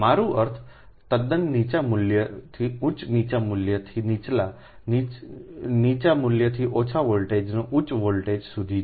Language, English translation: Gujarati, i mean quite lower value to higher, higher value to lower, lower value, from low voltage to high voltage